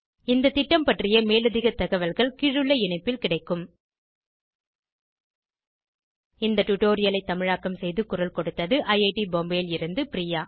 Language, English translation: Tamil, More information on this Mission is available at this link http://spoken tutorial.org/NMEICT Intro This is Madhuri Ganapathi from IIT Bombay signing off